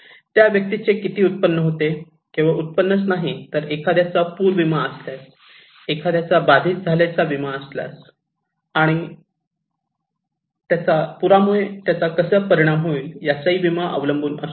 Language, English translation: Marathi, How much the person's income has, not only income, but also if they have insurance like if someone has flood insurance so if they are affected, and how they will be impacted by the flood, it depends on insurance